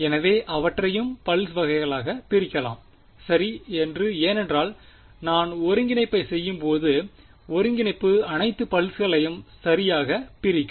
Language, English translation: Tamil, So, may as well discretise that also into pulses ok, it will become because when I do the integration the integration will split over all the pulses right